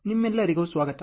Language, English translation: Kannada, Welcome to all of you